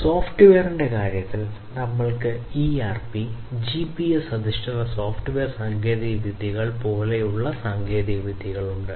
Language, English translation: Malayalam, So, in terms of software if we look at we have technologies such as ERP, then, you know, the GPS based software technologies, all right